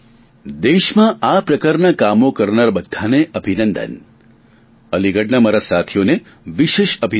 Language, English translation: Gujarati, I felicitate all such citizens involved in these kinds of activities and especially congratulate friends from Aligarh